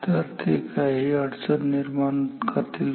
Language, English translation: Marathi, So, do they create any problem